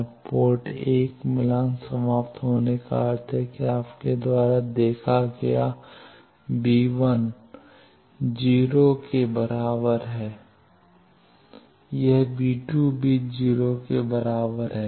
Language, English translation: Hindi, Now port 1 match terminated means v1 plus is equal to 0 the moment you see v1 plus is equal to 0 v2 minus also is to be equal to 0